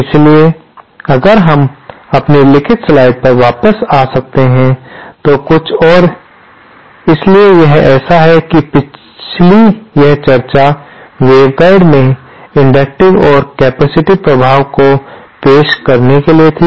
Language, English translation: Hindi, So, if we can come back to our written slide, so some of the others, so this is like that the previous this discussion was for introducing inductive and capacitive effects in waveguide